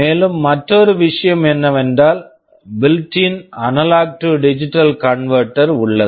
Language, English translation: Tamil, And, another thing is that there is a built in analog to digital converter